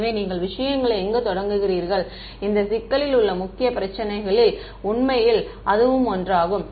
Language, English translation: Tamil, So, where you start from matters right, actually that is one of the major issues in this problem